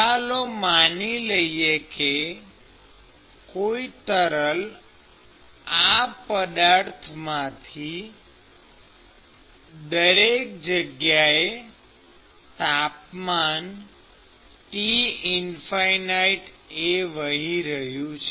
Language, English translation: Gujarati, And let us assume that there is fluid which is flowing past this object everywhere at temperature T infinity